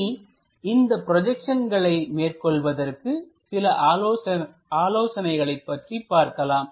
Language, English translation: Tamil, Let us look at few tips for these projections